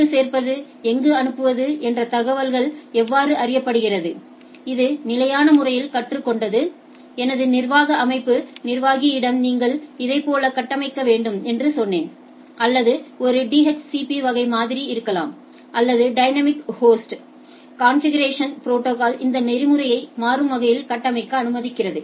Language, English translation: Tamil, And how this information is learnt that where the get add and where to forward; that is either it is statically it has learned, my admin system administrator I told that you configure like this or there can be a DHCP type or dynamic host configuration protocol that which allows me to dynamically configure this protocol